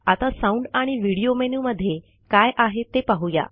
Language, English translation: Marathi, Then lets explore Sound amp Video menu